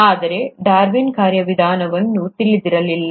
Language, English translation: Kannada, But, Darwin did not know the mechanism